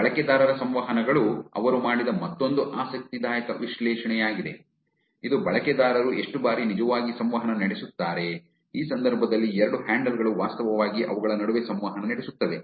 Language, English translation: Kannada, User interactions is another interesting analysis that they did, which is how frequently how users actually interact, which is 2 handles in this case are actually interacting between them